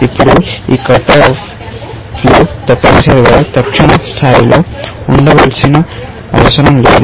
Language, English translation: Telugu, Now, these cut offs do not necessarily, have to be at the immediate level, essentially